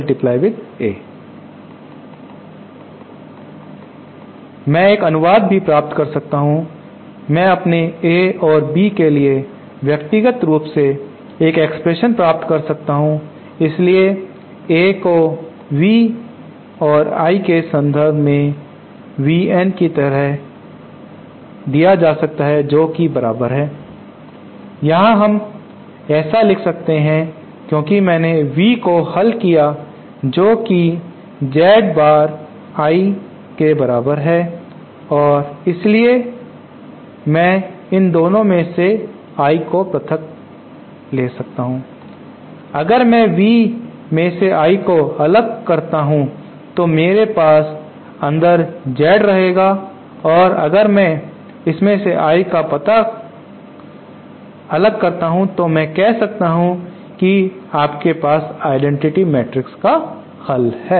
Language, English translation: Hindi, I can also derive an express by, I can derive an expression for my A and B individually, so A in terms of v and I is VN like this and this is equal toÉHere we can write this because I have resolved V as equal to Z times I and so then I can take I common from both the 2 if I take I common from V then I had Z inside and if take I common from this I will say you have the identity matrix resolved